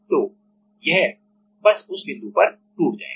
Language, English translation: Hindi, So, it will just break at that point